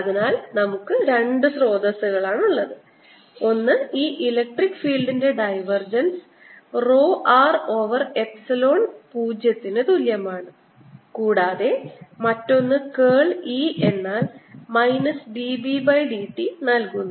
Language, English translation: Malayalam, so we have two sources: one which gives me divergent of this electric field equals row r over epsilon zero, and another one which gives me curl of electric field as equal to minus d v by d t